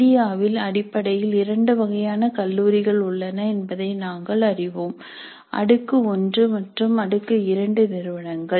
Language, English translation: Tamil, Now we know that in India basically there are two types of colleges, tier one and tire two institutions